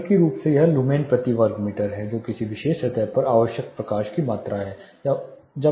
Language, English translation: Hindi, You know more technically lumens per meter square that is amount of light required on a particular surface